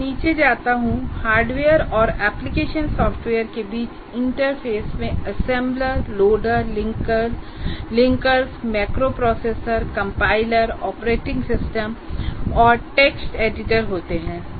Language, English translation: Hindi, And now once again when I go down, interface between hardware and application software consists of assemblers, loaders and linkers, macro processors, compilers, operating systems and text editor